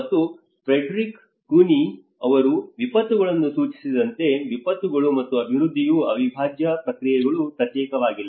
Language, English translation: Kannada, And that is where the disasters and development as Frederick Cuny had pointed out the disasters and development are the integral processes it is they are not separate